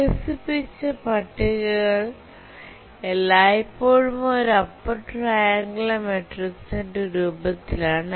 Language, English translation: Malayalam, If we look at the tables that we developed, they are always in the form of a upper triangular matrix